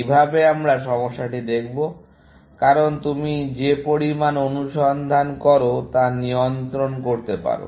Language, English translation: Bengali, That is the way we will look at the problem, essentially, because you want to control the amount of search that you do